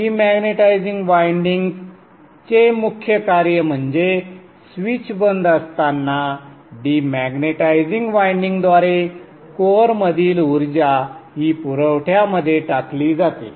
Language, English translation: Marathi, The main function of the de manatizing winding is when the switch is off, the energy in the core is put through the de magnetizing winding into the supply